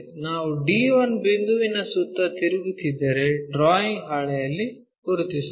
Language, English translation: Kannada, If we are rotating around d 1 point, is more like let us locate on the drawing sheet